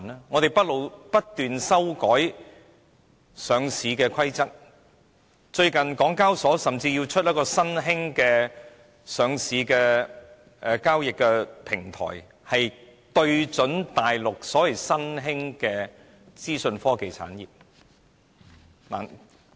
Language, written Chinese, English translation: Cantonese, 我們不斷修改上市規則，近日港交所甚至要推出一個新興的上市交易平台，就是要對準大陸的新興資訊科技產業。, We have been changing our listing rules time and again and lately the Hong Kong Exchanges and Clearing Limited has even been considering the launch of a new listing and trading board which targets at the emergent information technology industry in the Mainland